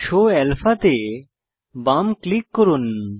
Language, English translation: Bengali, Left click Show Alpha